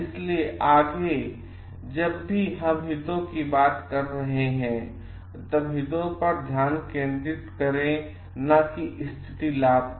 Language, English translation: Hindi, So, next is whenever we are talking of interests, then focus on interests not on position